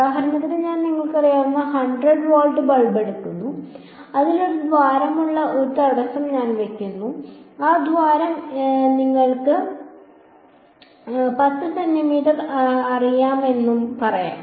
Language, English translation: Malayalam, So for example, I take a you know 100 watt bulb and I put in front of it barrier with a hole in it and that hole is let us say you know 10 centimeters